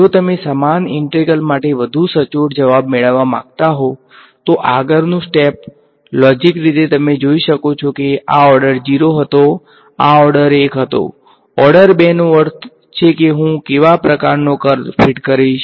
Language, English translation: Gujarati, If you wanted to get a even more accurate answer for the same integral, the next step logically you can see this was order 0, this was order 1; order 2 means I what is a kind of curve that I will fit